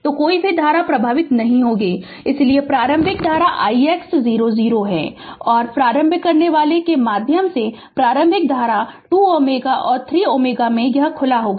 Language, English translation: Hindi, So, no current will flowing so initial current to I x 0 is 0 right and initial through the inductor initial current is it is 2 ohm and 3 ohm will be this is open right